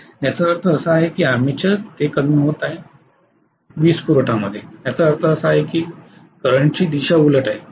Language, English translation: Marathi, Which means it is slowing from the armature into the power supply that is what it means, the current direction is reversed